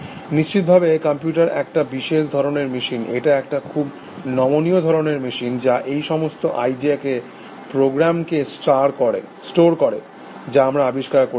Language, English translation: Bengali, Of course, a computer is a, very special kind of a machine, it is a very flexible kind of a machine, which says, so this whole idea store program, which we discovered